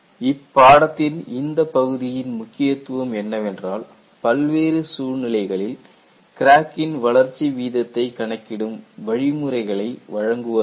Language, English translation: Tamil, So, one of the very important aspect of this part of the course is, it provides you methodology to find out the crack growth rate for variety of situations